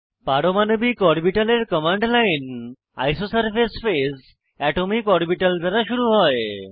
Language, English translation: Bengali, The command line for atomic orbitals starts with isosurface phase atomicorbital